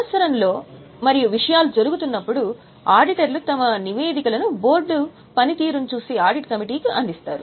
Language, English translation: Telugu, Are you getting during the year as and when the things are happening, the auditors will provide their reports to audit committee who are overlooking the functioning of the board